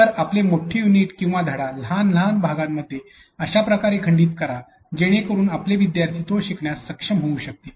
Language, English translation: Marathi, So, break your long the unit or long lesson into a smaller smaller chunks into a way in such a way that your students can be able to also